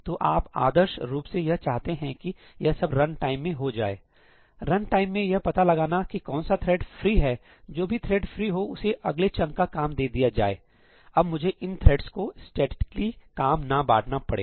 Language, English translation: Hindi, So, what you would ideally like to do is let the runtime figure out, at runtime, let it figure out that which is the thread which is free; whichever thread is free let it pick up the next chunk of work ; let me not statically assign the work to these threads